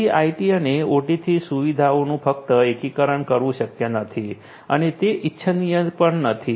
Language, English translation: Gujarati, So, simply integrating features from IT and OT is also not possible and is not desirable